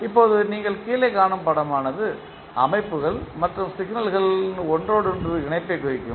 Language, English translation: Tamil, Now, the figure which you see below will represent the interconnection of the systems and signals